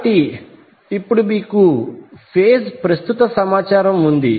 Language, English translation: Telugu, So now you have the phase current information